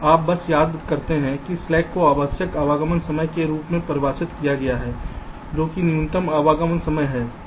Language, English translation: Hindi, you see, just to recall, slack is defined as required arrival time minus actual arrival time